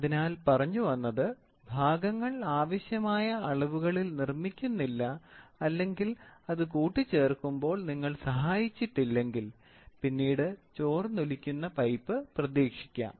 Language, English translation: Malayalam, So, the parts if they are not manufactured to the required dimensions and if you have not assisted when you assemble it, you find a leaking pipe, right